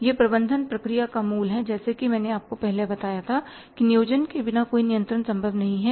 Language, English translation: Hindi, This is a core of the management process as I told you earlier that without planning no controlling is possible